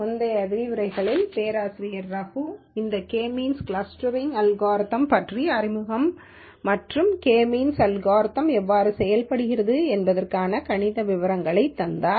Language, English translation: Tamil, In the previous lectures Professorago would have given a brief introduction about this K means clustering algorithm and the mathematical details of how this K means algorithm works